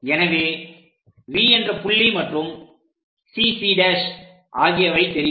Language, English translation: Tamil, So, V point is known, CC prime point is known